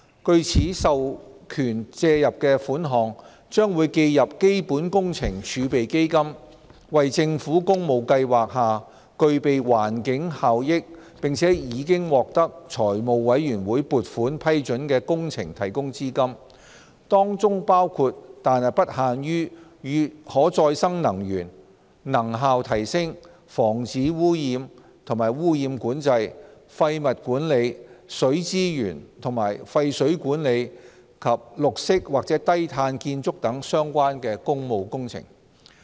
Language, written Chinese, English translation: Cantonese, 據此授權借入的款項，將會記入基本工程儲備基金，為政府工務計劃下具備環境效益、並已獲財務委員會撥款批准的工程提供資金，當中包括但不限於與可再生能源、能效提升、防止污染及污染管制、廢物管理、水資源及廢水管理及綠色或低碳建築等相關的工務工程。, Sums borrowed under this authorization will be credited to CWRF to finance projects with environmental benefits under the Public Works Programme of the Government approved by the Finance Committee including but not limited to public works projects relating to renewable energy energy efficiency pollution prevention and control waste management water and wastewater management and greenlow carbon building